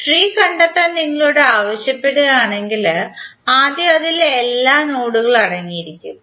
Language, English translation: Malayalam, If you ask to find out the tree then first is that it will contain all nodes